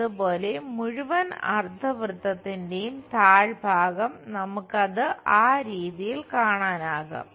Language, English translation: Malayalam, Similarly, at bottom the entire semi circle we will see it in that way